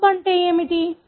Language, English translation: Telugu, What is a probe